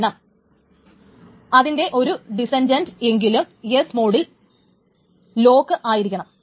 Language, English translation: Malayalam, This means that at least one descendant has a S lock